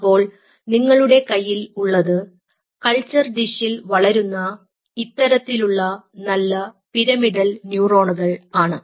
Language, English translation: Malayalam, so what you have is nice pyramidal neurons growing out on the culture dish, something like this: ok